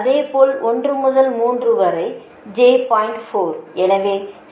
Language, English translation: Tamil, so one up on j one